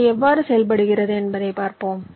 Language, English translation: Tamil, well, lets see how it is done